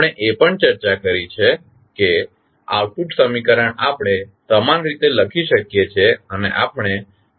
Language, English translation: Gujarati, We also discussed that the output equation we can write in the similar fashion